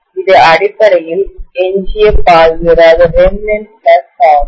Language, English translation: Tamil, This is essentially remnant remnant flux